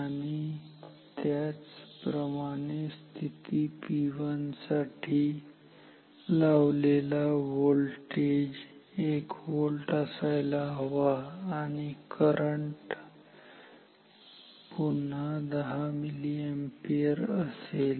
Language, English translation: Marathi, And similarly for position P 1 V applied voltage should be 1 volt current is once again 10 milliampere